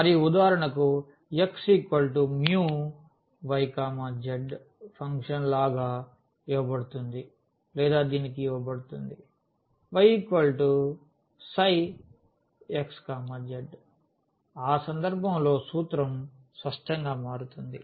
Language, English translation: Telugu, And, for instance the function is given like x is equal to mu y z or it is given y is equal to psi x z in that case the formula will change obviously